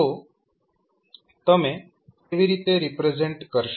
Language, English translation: Gujarati, So, how you will represent them